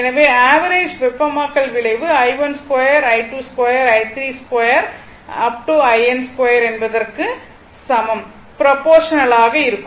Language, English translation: Tamil, So, therefore, the average heating effect is proportional to i 1 square plus i 2 square up to i n square divided by n right